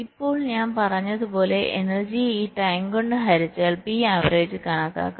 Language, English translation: Malayalam, now, as i said, p average can be computed by dividing the energy divide with this time t